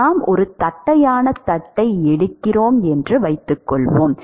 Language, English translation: Tamil, Suppose we take a flat plate